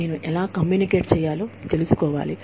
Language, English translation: Telugu, I have to know, how to communicate